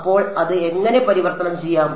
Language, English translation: Malayalam, So, that can get converted how